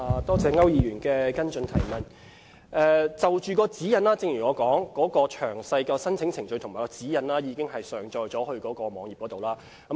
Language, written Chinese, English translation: Cantonese, 就着有關指引，正如我提到，詳細的申請程序和指引已經上載至網站。, Regarding the guidelines as I have said details of the application procedures and the guidelines have been uploaded onto the website